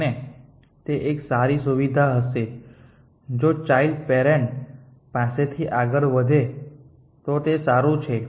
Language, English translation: Gujarati, And that would be nice feature if in carried forward from 1 parent to a child to be nice